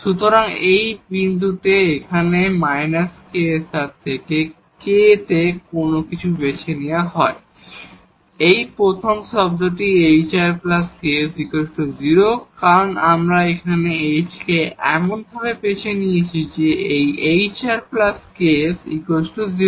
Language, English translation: Bengali, So, on this point here, when h is chosen from this minus ks over r for whatever k, this first term this hr plus ks this will be 0 because, we have chosen our h in such a way that, this hr plus ks is 0